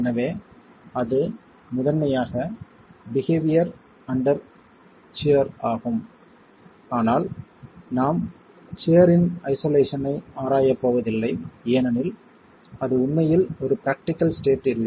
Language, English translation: Tamil, So, and that is behavior primarily under shear, but we're not going to be examining shear in isolation because that's not a, that's really not a practical state